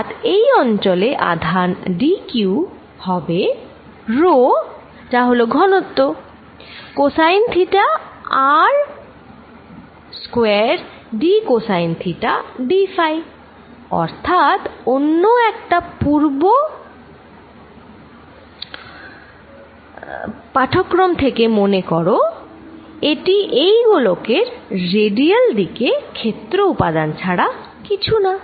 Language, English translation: Bengali, And therefore, the charge in this region d Q is going to be rho the density cosine of theta, let me bring a also here times R square d cosine theta d phi, recall from our one of our previous lectures this is nothing but the area element in the radial direction for this sphere